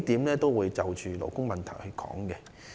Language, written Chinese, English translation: Cantonese, 我會就數項勞工問題發言。, I will speak on several labour issues